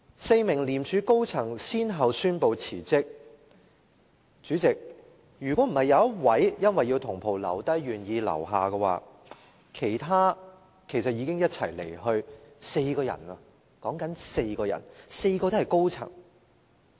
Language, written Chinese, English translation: Cantonese, 四名廉署高層人員先後宣布辭職，主席，如果不是有一位因為要同袍留低而願意留下，其實已經一起離任，是4個人，而且4個皆是高層人員。, Four senior staff members of ICAC announced their resignation one after another . President one of them would have left with the rest of the three had he not decided to stay in order to retain his other colleagues . We are talking about four persons and all of them were senior officers